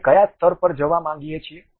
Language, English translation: Gujarati, Up to which level we would like to have